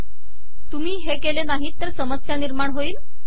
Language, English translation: Marathi, If you dont do that, there will be a problem